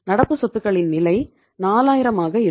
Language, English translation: Tamil, The level of current assets will be 4000